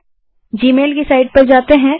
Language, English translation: Hindi, Lets go to gmail site here